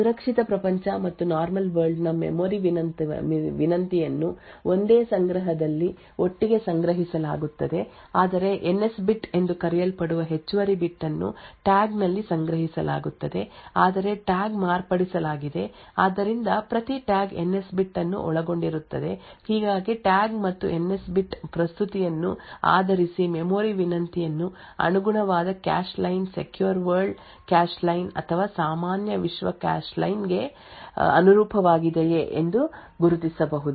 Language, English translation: Kannada, Both secure world as well as normal world memory request are stored together in the same cache however there is an additional bit known as the NS bit which is stored in the tag however the tag is modified so that each tag also comprises of the NS bit it thus based on the tag and the NS bit present a memory request can be identified whether the corresponding cache line corresponds to a secure world cache line or a normal world cache line